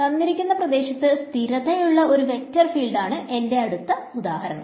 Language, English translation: Malayalam, The next thing the next example that I have is a vector field that is constant in space